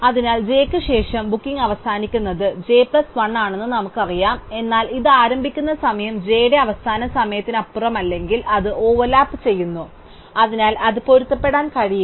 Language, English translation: Malayalam, So, we know that after j the booking that ends next is j plus 1, but if its starting time is not beyond the finishing time of j, it is overlapping, so it cannot be compatible